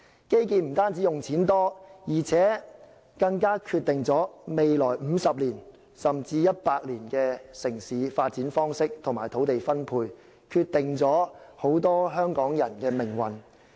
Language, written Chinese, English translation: Cantonese, 基建不單花費多，而且更決定了未來50年，甚至100年的城市發展方式及土地分配，決定了很多香港人的命運。, Infrastructure projects are not only costly but also determines the mode of urban development and land allocation in the coming 50 or even 100 years as well as the fate of many Hong Kong people